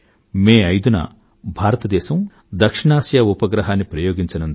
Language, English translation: Telugu, On the 5th of May, India will launch the South Asia Satellite